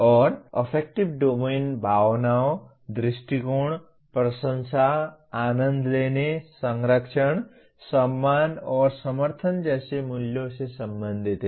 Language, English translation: Hindi, And affective domain relates to emotions, attitudes, appreciations, values such as enjoying, conserving, respecting and supporting